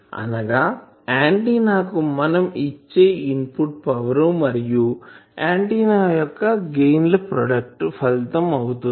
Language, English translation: Telugu, That it is a product of the input power given to an antenna and the gain of the antenna